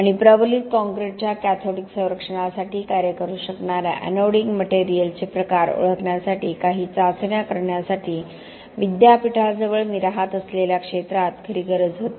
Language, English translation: Marathi, And there was a real need in the area that I was, I was living in, near the University to carry out some trials to identify types of anoding material that could work for cathodic protection of reinforced concrete